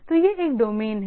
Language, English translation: Hindi, So, this is a domain